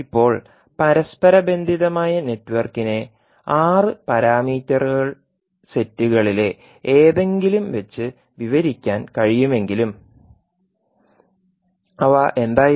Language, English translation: Malayalam, Now, although the interconnected network can be described by any of the 6 parameter sets, what were those